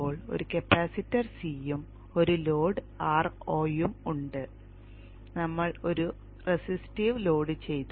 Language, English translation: Malayalam, This is a capacitor C and a load R not, but now we have put a resistive load